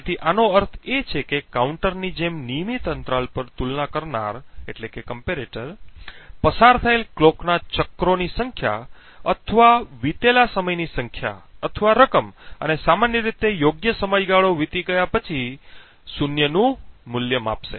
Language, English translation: Gujarati, So this means that at regular intervals as the counter is incremented the comparator would check the number of clock cycles that elapsed or the number or amount of time that elapse and typically would give a value of zero after right amount of period has elapsed the comparator would provide an output of 1